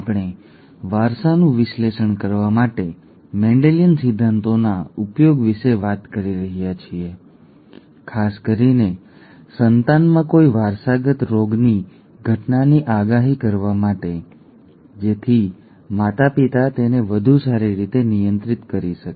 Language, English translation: Gujarati, We have been talking about the use of Mendelian principles to analyse inheritance especially toward prediction of the occurrence of a of some inherited disease in an offspring, so that the parents would be able to handle it better